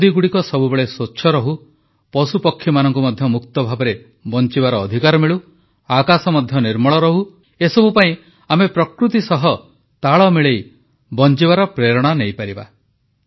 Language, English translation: Odia, For ensuring that the rivers remain clean, animals and birds have the right to live freely and the sky remains pollution free, we must derive inspiration to live life in harmony with nature